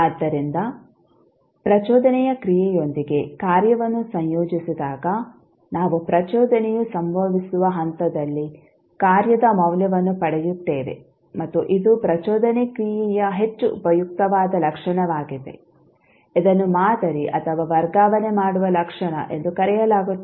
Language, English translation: Kannada, So, this shows that when the function is integrated with the impulse function we obtain the value of the function at the point where impulse occurs and this is highly useful property of the impulse function which is known as sampling or shifting property